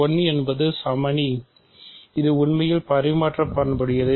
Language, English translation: Tamil, So, 1 is the identity, it is actually commutative